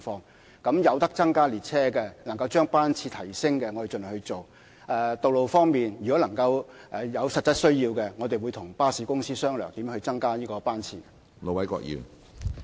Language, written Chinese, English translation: Cantonese, 鐵路服務方面，如能夠增加列車，將班次提升，我們會盡量去做；道路交通工具方面，如果有實質需要，我們會與巴士公司商量如何增加班次。, Regarding rail service we will try as far as practicable to deploy more trains and increase frequency . In terms of road transport we will discuss with bus companies how frequency can be increased should there be such a practical need